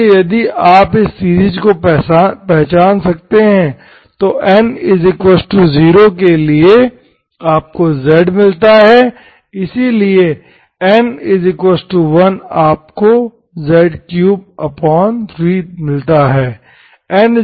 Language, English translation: Hindi, So if you can recognise this series, N equal to 0, z, right, so N equal to1, N equal to1 is 3, z3 by 3